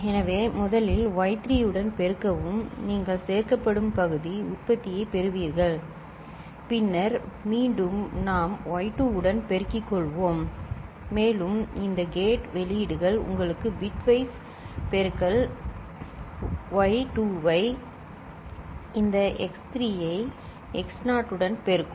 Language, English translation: Tamil, So, first we’ll you know, multiply with y3, you will get the partial product which will get added, then again we will multiply with y2 and these AND gate outputs will be giving you the bitwise multiplication y2 multiplying these x3 to x naught